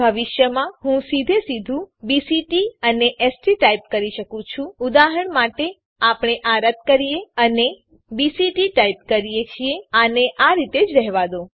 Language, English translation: Gujarati, In the future i can type BCT and ST directly for e.g we delete this and type BCT leave this as it is